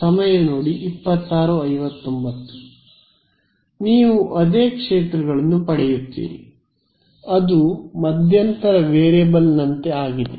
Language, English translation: Kannada, You get the same fields, its like a intermediate variable